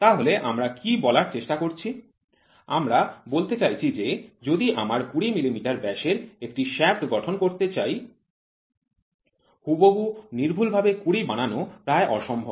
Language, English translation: Bengali, So, what we are trying to says we are trying to say if we have to produce a diameter of shaft 20 millimeter exact precise 20 is next to impossible